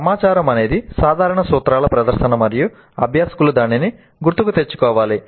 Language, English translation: Telugu, Information is presentation of the general principles and learners must be able to recall it